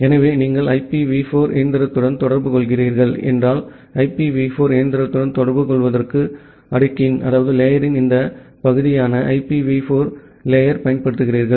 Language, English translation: Tamil, So, if you are communicating with the IPv4 machine, then you use the IPv4 stack, this part of the stack to communicate with the IPv4 machine